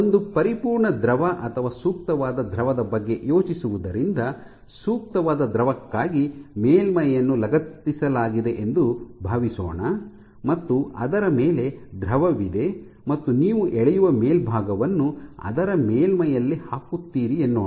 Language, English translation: Kannada, For the case of an ideal fluid, let us assume you have a surface which is fixed you have fluid on top of it and you put a top surface which you pull